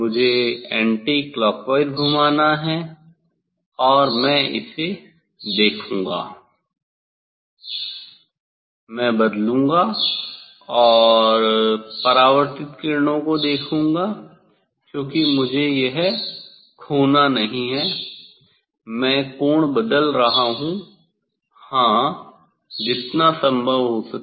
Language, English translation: Hindi, I have to rotate anticlockwise and I will look I will look at the; I will change and look at the look at the reflected rays because I should not lose this one, I am changing the angle; yes, as per as possible